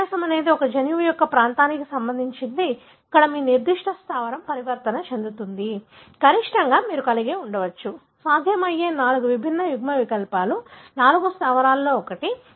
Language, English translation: Telugu, The difference is for a region of a gene, where your particular base that is mutated, at the maximum you may have, four different alleles that is possible, one of the four bases